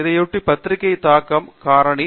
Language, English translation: Tamil, One such thing is journal impact factor